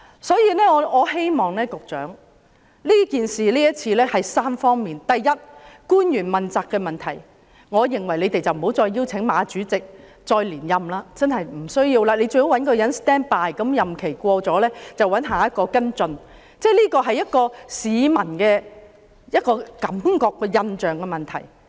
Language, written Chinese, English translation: Cantonese, 所以，今次事件包括3方面：第一，官員問責的問題，我認為不要再邀請馬主席連任，應該找一個後備人選，當馬主席的任期完結便找下任主席跟進，這是市民的感覺和印象的問題。, Hence this incident involves three aspects first the accountability of officials . I think Chairman MA should not be reappointed . Instead a replacement candidate should be ready to follow up the matter once Chairman MAs tenure ends